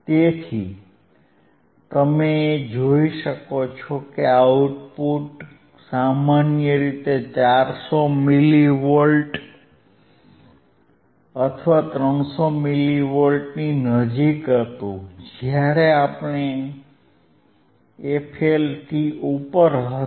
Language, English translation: Gujarati, So, you could see the output generally it was close to 400 milli volts or 300 something milli volts, right